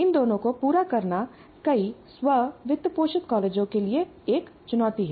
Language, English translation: Hindi, So making these two happen is a challenge for many of these self financing colleges